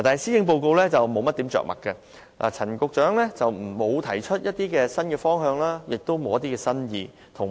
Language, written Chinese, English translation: Cantonese, 施政報告在這方面着墨不多，陳帆局長亦無提出新方向，也新意欠奉。, The Policy Address does not devote too much treatment to this issue nor has Secretary Frank CHAN given us any new directions or ideas